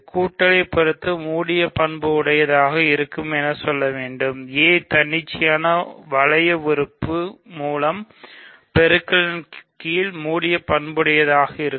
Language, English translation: Tamil, So, all you have to do is its closed under addition, it is closed under multiplication by an arbitrary ring element